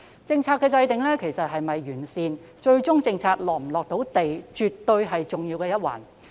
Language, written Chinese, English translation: Cantonese, 政策的制訂是否完善及最終是否"貼地"，絕對是重要的一環。, This is definitely an integral part of the formulation of good and down - to - earth policies